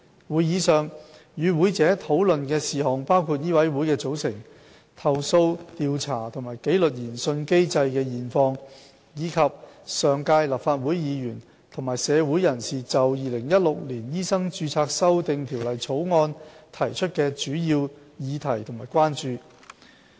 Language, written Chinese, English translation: Cantonese, 會議上，與會者討論事項包括醫委會的組成、投訴調查和紀律研訊機制的現況，以及上屆立法會議員和社會人士就《2016年醫生註冊條例草案》提出的主要議題及關注。, Matters discussed at the meeting include the composition of MCHK the current situation of its complaint investigation and disciplinary inquiry mechanism as well as major issues and concerns raised by the previous - term Legislative Council Members and the general public over the Medical Registration Amendment Bill 2016